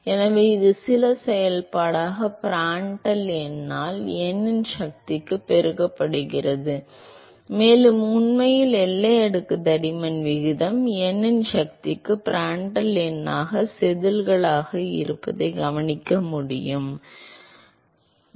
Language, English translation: Tamil, So, it is scales as some function multiplied by the Prandtl number to the power of n, and in fact, that observation is because of the positing that the ratio of boundary layer thickness is scales as the Prandtl number to the power of n